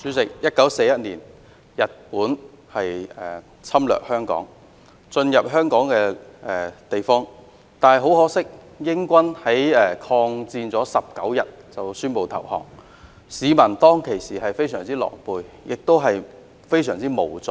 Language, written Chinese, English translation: Cantonese, 主席 ，1941 年日本侵略香港，進入香港的地方，但很可惜，英軍抗戰19天後便宣布投降，市民當時非常狼狽，亦非常無助。, President in 1941 Japan invaded Hong Kong and entered the territory but much to our regret the British army declared its surrender after 19 days of resistance and the people were in great distress and felt most helpless back then